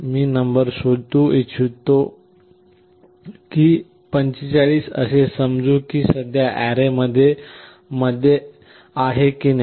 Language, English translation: Marathi, I want to find out whether a number, let us say 45, is present or not